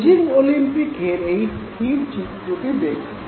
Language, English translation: Bengali, Look at this very still image from Beijing Olympics